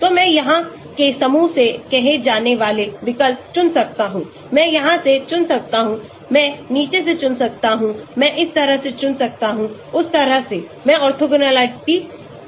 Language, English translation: Hindi, so I can choose substituents say from a groups here, I can choose from here I can choose from bottom I can choose from this that way I keep orthogonality